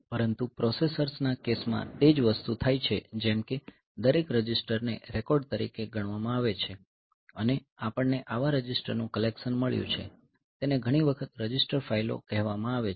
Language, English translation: Gujarati, But in case of in case of processors so, we the same thing happens like each register can be considered to be a record and we have got a collection of such registers so, they are often called register file ok